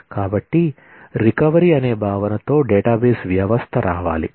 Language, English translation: Telugu, So, a database system has to come with the concept of recovery